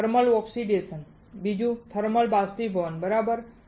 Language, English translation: Gujarati, One thermal oxidation, 2 thermal evaporation, right